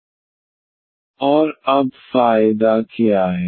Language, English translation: Hindi, And, what is the advantage now